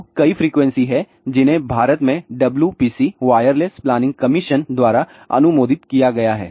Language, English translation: Hindi, So, there are several frequencies which have been approved by WPC wireless planning commission in India